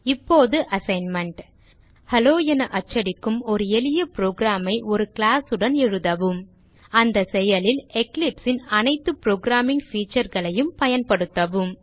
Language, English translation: Tamil, Write a simple program with a class that prints Hello In the process Apply all the programming features of Eclipse